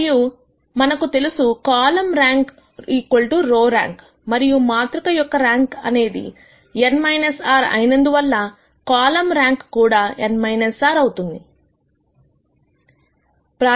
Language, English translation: Telugu, And further we know that column rank is equal to row rank; and since the rank of the matrix is n minus r, the column rank also has to be n minus r